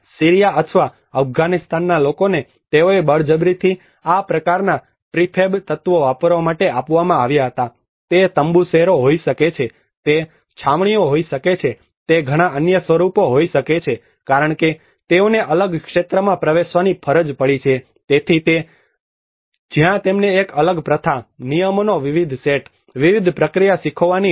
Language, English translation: Gujarati, People from Syria or Afghanistan they were forcibly given these kinds of prefab elements to use, it could be a tent cities, it could be camps, it could be many other forms where because they are forced to enter into a different field, so that is where they have to learn a different practice, different set of rules, different process